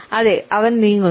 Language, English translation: Malayalam, He is moving